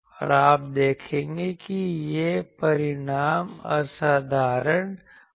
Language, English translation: Hindi, And you will see that this result will be remarkable